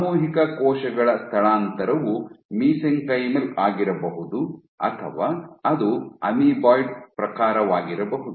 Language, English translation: Kannada, In collective cell migration or in collective cell migration can be mesenchymal or can be amoeboid